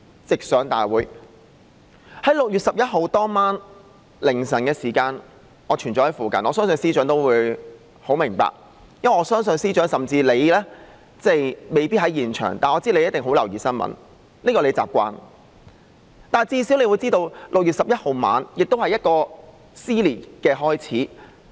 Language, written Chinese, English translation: Cantonese, 在6月11日凌晨時分，我一直在附近，相信司長也知道，因為我相信司長即使未必在現場，也一定十分留意新聞，這是他的習慣，所以他至少會知道6月11日晚上是撕裂的開始。, I believe the Chief Secretary also knows that . He might not be there yet he must have paid close attention to the news for this is his habit . Hence he at least would know that the dissension began in the evening of 11 June